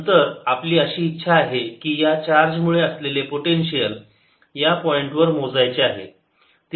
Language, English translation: Marathi, then we wish to calculate the potential of this charge q at this point